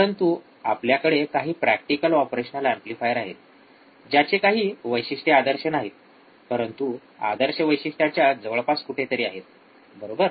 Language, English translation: Marathi, But we will have a practical operation, amplifier with some characteristics which are not really ideal, but close to ideal ok